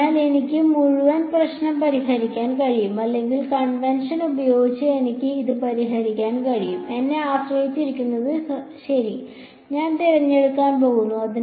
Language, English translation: Malayalam, So, I could solve the whole problem with n 1 or I could solve it with n convention depends on me ok, I am going to choose n